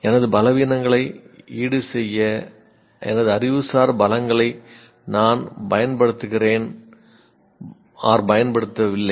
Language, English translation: Tamil, I use, do not use my intellectual strengths to compensate for my weaknesses